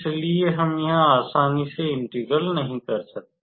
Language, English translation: Hindi, So, we cannot simply do the integration here